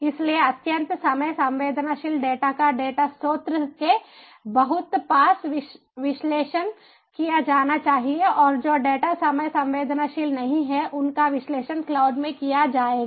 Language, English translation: Hindi, so extremely time sensitive data should be analyzed very near to the ah, to the data source, and data of which are not time sensitive will be analyzed in the cloud